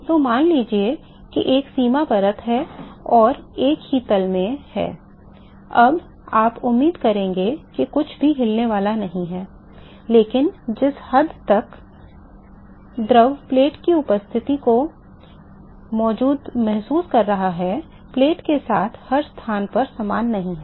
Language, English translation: Hindi, So, is the boundary layer, supposing is a boundary layer and also to be a single plane, then you would expect that nothing is going to move, but the extent to which the fluid is feeling the presence of the plate is not the same at every location along the plate